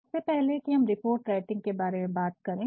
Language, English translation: Hindi, Now, before we go on to talk about report writing